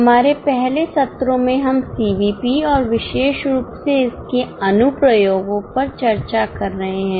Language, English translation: Hindi, In our earlier sessions, we have been discussing CVP and particularly its applications